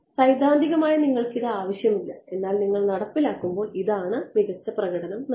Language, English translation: Malayalam, Theoretically you need do not need this, but when you get down to implementation this is what gives the best performance